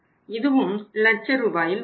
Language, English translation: Tamil, It was also in Rs, lakhs